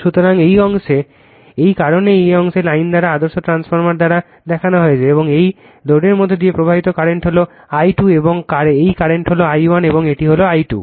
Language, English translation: Bengali, So, this at this portion that is why by dash line in this portion is shown by ideal transformer, right and current flowing through this load is I 2 and this current is I 1 and this is I 2 dash